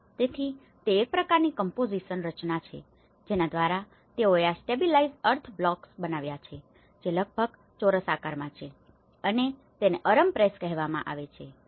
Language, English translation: Gujarati, So, that is a kind of composition through which they developed these stabilized earth blocks which are about in a square shape and this is called Aurum press